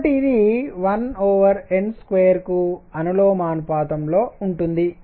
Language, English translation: Telugu, So, this is proportional to 1 over n square